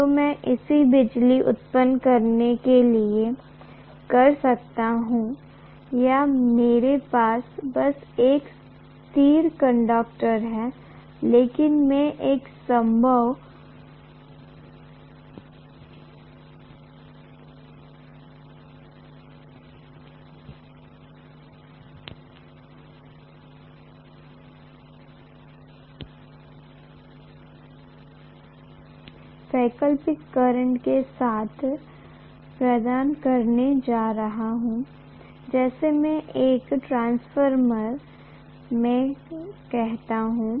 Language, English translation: Hindi, So I can do it that way to generate electricity or I can simply have a stationary conductor but I am going to probably provide with an alternating current like I do in a transformer